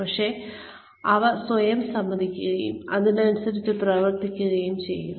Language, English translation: Malayalam, But, admit them to yourself, and act accordingly